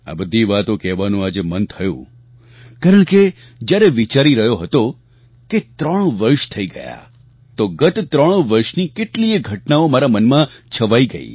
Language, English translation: Gujarati, Today I felt like sharing it, since I thought that it has been three years, and events & incidents over those three years ran across my mind